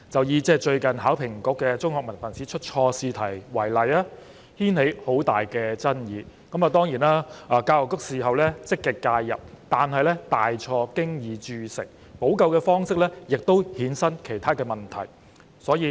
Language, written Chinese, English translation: Cantonese, 以最近考評局在香港中學文憑試出錯試題為例，此事牽起很大爭議，教育局事後積極介入，但大錯已經鑄成，補救的方式亦衍生了其他問題。, Let me cite the recent incident of HKEAA setting a wrong question in the Hong Kong Diploma of Secondary Education Examination HKDSE as an example . This incident has aroused great controversy . The Education Bureau actively intervened afterwards but a gross mistake had already been made and the remedies also gave rise to other problems